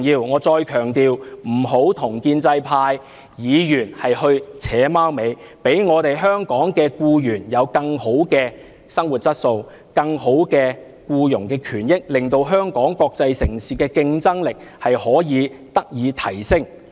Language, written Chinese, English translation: Cantonese, 我再強調，請局長不要跟建制派議員"扯貓尾"，讓我們的香港僱員有更好的生活質素、更好的僱傭權益，令香港國際城市的競爭力得以提升。, Please do not act like a sore loser . I stress once again that the Secretary should not connive with pro - establishment Members . Instead he should enable Hong Kong employees to enjoy a better quality of life and receive more satisfactory labour rights and interests so as to enhance the competitiveness of Hong Kong as an international city